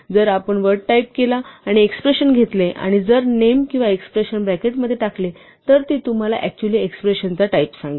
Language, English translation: Marathi, So, if you type the word type and put an expression and either a name or an expression in the bracket, it will tell you actually type of the expression